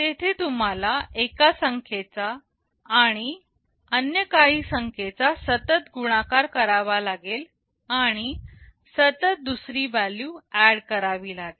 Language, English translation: Marathi, There you need to continuously multiply a number with some other number and add to another value continuously